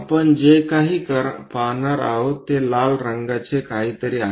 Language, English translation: Marathi, What we will going to see is something like a red one